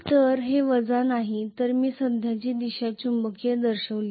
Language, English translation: Marathi, So this is minus is not it I have shown the current direction wrongly